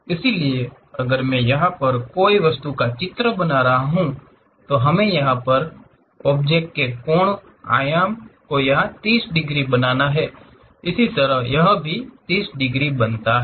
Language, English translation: Hindi, So, if I am drawing a picture here, any object thing; object dimension supposed to make 30 degrees here, similarly this one makes 30 degrees